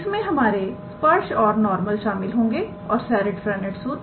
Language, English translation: Hindi, It is somehow involving our tangents and normal and the Serret Frenet formula